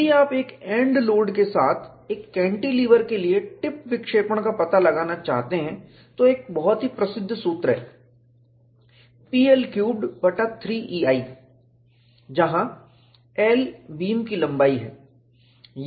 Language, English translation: Hindi, If you want to find out the tip deflection, for a cantilever with the end load, a very famous formula is P L Q by 3 E a, where L is the length of the beam